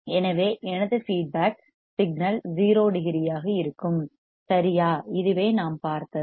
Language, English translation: Tamil, So, that my feedback signal will also be 0 degree, correct, this we have seen